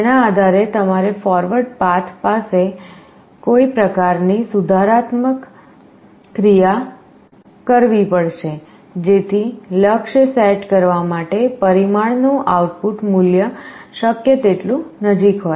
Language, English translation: Gujarati, Depending on that you will have to send some kind of a corrective action along the forward path so that the output value of the parameter is as close as possible to the set goal